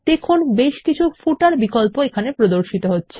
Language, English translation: Bengali, You can see several footer options are displayed here